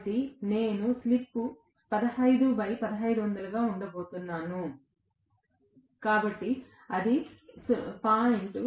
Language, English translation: Telugu, So, I am going to have the slip to be 15 divided by 1500, so that is going to be 0